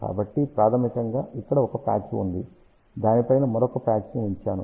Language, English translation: Telugu, So, basically here there is a one patch we put another patch on top of that